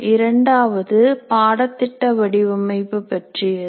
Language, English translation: Tamil, Module 2 is related to course design